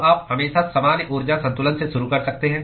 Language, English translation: Hindi, So, you can always start with the general energy balance